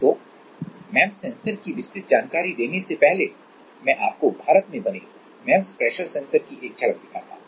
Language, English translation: Hindi, So, before going into the details let me just show you one glimpse of one of the MEMS pressure sensors made in India